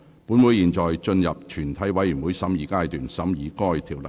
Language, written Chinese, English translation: Cantonese, 本會現進入全體委員會審議階段，審議該條例草案。, This Council now proceeds to the Committee stage to consider the Bill